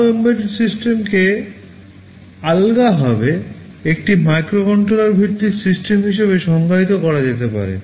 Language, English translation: Bengali, Well embedded system can be loosely defined as a microcontroller based system